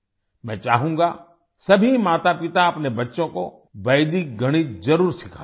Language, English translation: Hindi, I would like all parents to teach Vedic maths to their children